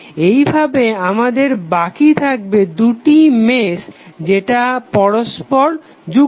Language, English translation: Bengali, So, in that way we will be left with only two meshes which would be connected